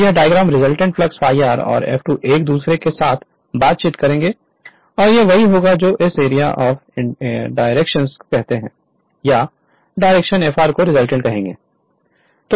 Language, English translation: Hindi, So, this is that your diagram this is your that resultant flux phi r and F2 will interact with each other and this will be the your what you call the direction of this area or direction will be your what you call this resultant will be Fr right